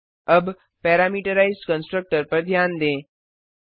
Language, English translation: Hindi, Now, notice the parameterized constructor